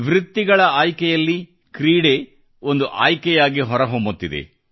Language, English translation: Kannada, Sports is coming up as a preferred choice in professional choices